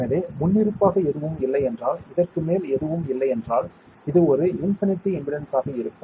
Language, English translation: Tamil, So, because by default if nothing is there on; if nothing is there on top of this, this will be a infinite impedance right ideally